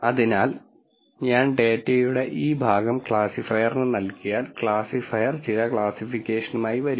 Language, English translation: Malayalam, So, if I just give this portion of the data to the classifier, the classifier will come up with some classification